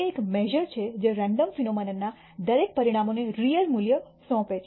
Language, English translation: Gujarati, It is a measure which assigns a real value to every outcome of a random phenomena